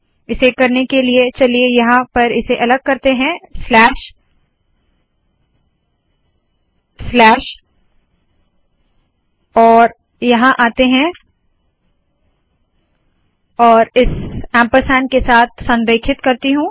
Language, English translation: Hindi, The way to do that is, let us break it here, slash, slash, and come here and Im putting an aligned with this ampersand